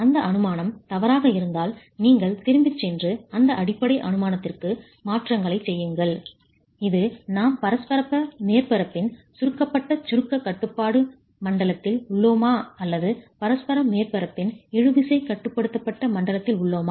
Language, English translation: Tamil, If that assumption is incorrect then you go back and make a change that basic assumption which is on whether we are in the compression control zone of the interaction surface or in the tension control zone of the interaction surface